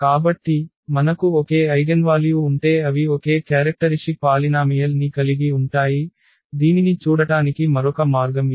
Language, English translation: Telugu, So, if we have the same eigenvalues meaning they have the same characteristic polynomial, but this is just another way of looking at it